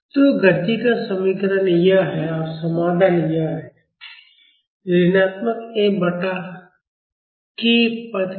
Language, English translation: Hindi, So, the equation of motion is this and the solution is this with the negative F by k term